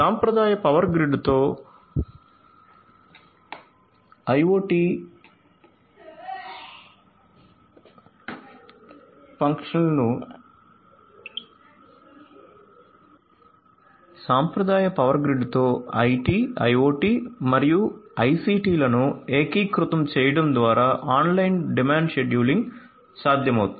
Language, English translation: Telugu, So, online demand scheduling would be possible with the integration of IT, IoT and ICT with the traditional power grid